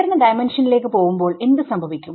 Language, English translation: Malayalam, What happens when I got to higher dimensions